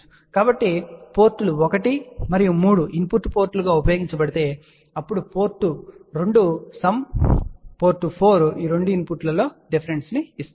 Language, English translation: Telugu, So, just you summarize if ports 1 and 3 are used as input ports, then port 2 will give sum and port 4 will give a difference of these 2 inputs